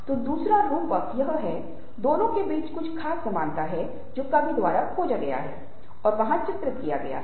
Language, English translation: Hindi, so there is a metaphor, there is certain striking resemblance between the two that has been discovered by the poet and depicted there